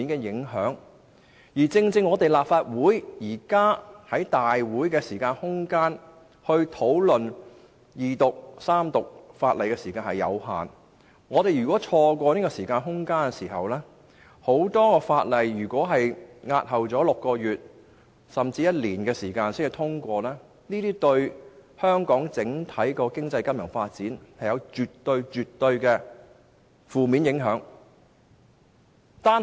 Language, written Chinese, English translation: Cantonese, 現時立法會在大會上二讀及三讀法案的時間有限，所以一旦錯過了，便會有很多法案須押後6個月甚至1年才獲得通過，這對香港的整體經濟金融發展絕對會造成負面影響。, Given the time constraint on the Second and Third Readings of bills at this Council if a bill falls behind schedule the passage of all other bills in the pipeline will be delayed for six months or even a year and this will definitely adversely affect the overall economic and financial development in Hong Kong